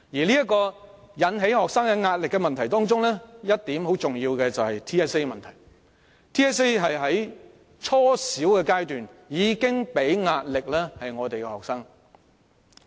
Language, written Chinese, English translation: Cantonese, 在引起學生壓力的問題中，相當重要的一點是 TSA 的問題，它在初小階段已為學生帶來壓力。, There are problems exerting pressure on students and the problem of TSA is prominent for it already constituted a source of pressure to students at the junior primary level